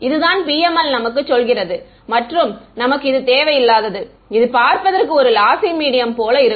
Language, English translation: Tamil, This is what PML is telling us and seemingly unrelated this is what a lossy medium looks like